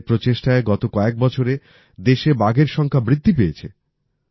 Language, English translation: Bengali, During the the last few years, through the efforts of the government, the number of tigers in the country has increased